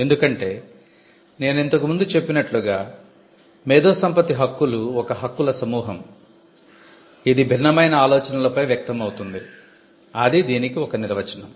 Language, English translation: Telugu, Because, as I said earlier intellectual property rights are a group of rights which manifest on different expressions of ideas that is one definition of it